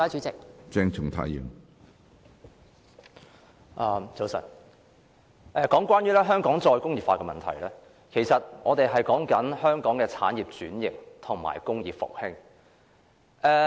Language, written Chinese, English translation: Cantonese, 早晨，我們討論香港"再工業化"的問題，其實是在討論香港的產業轉型和工業復興。, Good morning . When we discuss the subject of re - industrialization of Hong Kong we are actually discussing the restructuring and revival of industries in Hong Kong